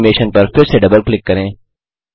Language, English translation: Hindi, Double click on this animation again